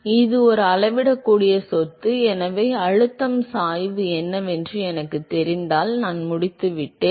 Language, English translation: Tamil, So, it is a measurable property, so if I know what the pressure gradient is I am done